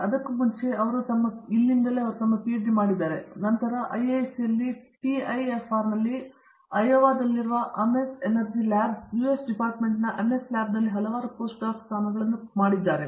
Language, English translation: Kannada, Before that, I mean she had done her PhD here and after that she has done several post doc positions she has held at IISC, at TIFR, at Ames lab in the US Department of Energy Ames Lab at Ayova